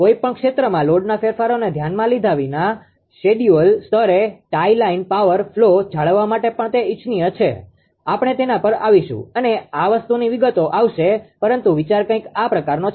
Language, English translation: Gujarati, It is also desirable to maintain the tie line power flow at schedule level irrespective of the load changes in an area, just we will come to that this thing details will come , but the idea is something like this